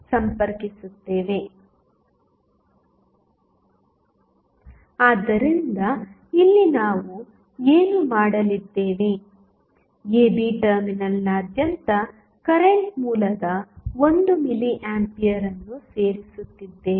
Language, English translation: Kannada, So, here what we are going to do we are adding 1 milli ampere of current source across the terminal AB